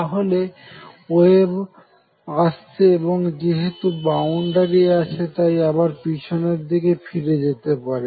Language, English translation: Bengali, So, the wave could be coming in and because as the boundary could also be going back and